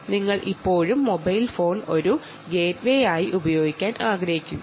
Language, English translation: Malayalam, you still want to use the mobile phone as a gateway, all right